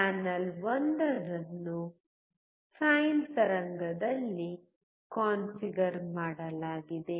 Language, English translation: Kannada, Channel 1 is configured in sine wave